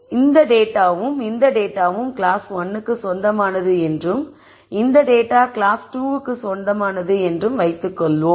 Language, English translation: Tamil, So, let us assume that this data and this data belongs to class 1 and this data belongs to class 2